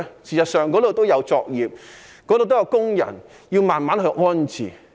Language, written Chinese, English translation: Cantonese, 事實上，那裏也有作業、也有工人，要慢慢安置。, In fact there are operations on those sites and workers are involved . Relocation has to be carried out step by step